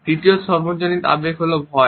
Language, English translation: Bengali, The third universal emotion is that of fear